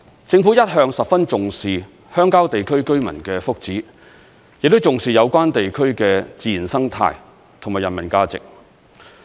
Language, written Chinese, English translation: Cantonese, 政府一向十分重視鄉郊地區居民的福祉，亦重視有關地區的自然生態和人文價值。, All along the Government has attached a great deal of importance to the well - being of residents in rural areas and also to the natural ecology and humanistic value of the areas concerned